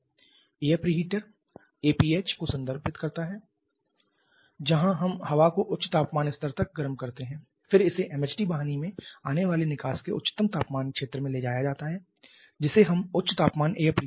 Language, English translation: Hindi, Then we have a low temperature air pre heater APH first to air pre heater where we heat the air to high temperature level then it is taken to the highest temperature zone of the exhaust coming from the MHD duct which we call the high temperature air pre heater